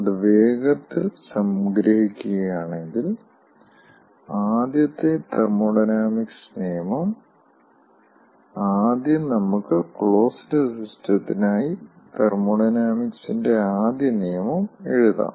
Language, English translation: Malayalam, first let us write first law of thermodynamics for closed system